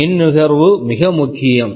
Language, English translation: Tamil, Power consumption, this is important